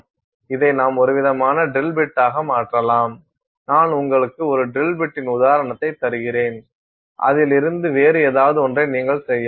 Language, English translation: Tamil, You want to convert this into some kind of a drill bit, I am just giving you an example of a drill bit, you can make something else out of it